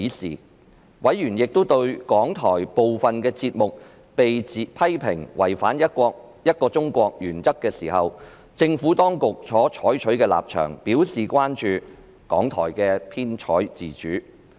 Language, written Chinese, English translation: Cantonese, 此外，因應港台部分節目被批評違反"一個中國"原則時政府當局所採取的立場，委員亦對港台的編採自主表示關注。, In light of the Administrations position on a criticism that RTHK had breached the One - China principle in some of its programmes members were also concerned about the editorial independence of RTHK